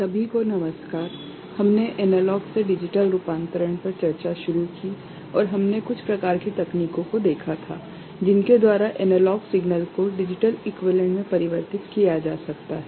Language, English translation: Hindi, Hello everybody, we started discussing Analog to Digital Conversion and we had seen certain types of techniques by which analog signal can be converted to digital equivalent ok